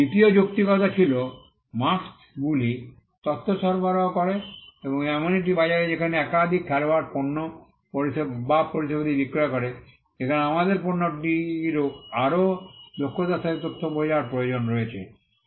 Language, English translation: Bengali, The second justification was that, marks provided information and in a market where, there are multiple players selling goods and services, there is a need for us to understand information about the product more efficiently